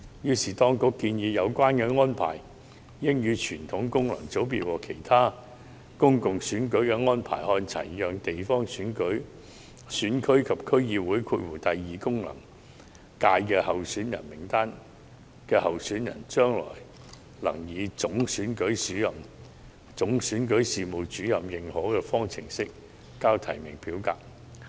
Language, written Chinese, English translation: Cantonese, 所以，當局建議有關安排應與傳統功能界別和其他公共選舉的安排看齊，讓地方選區及區議會功能界別候選人名單上的候選人，將來能夠以總選舉事務主任認可的方式呈交提名表格。, The authorities thus propose to align the arrangements of submission of nomination form for candidates in candidate lists of GCs or DC second FC with that for candidates in the traditional FCs as well as other public elections such that candidates will be allowed to submit their nomination forms in a way authorized by the Chief Electoral Officer in the future